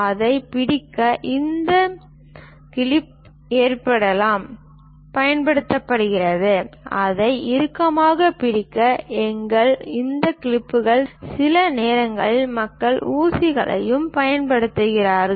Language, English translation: Tamil, To hold it, we use this clip arrangement ; to hold it tightly, we require these clips, sometimes people use pins also